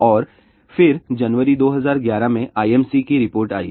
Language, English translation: Hindi, And then, IMC report came in January 2011